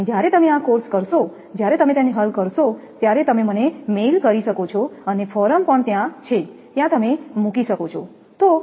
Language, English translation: Gujarati, And when you will do this course when you solve it you can mail to me and forum is also there, there you can put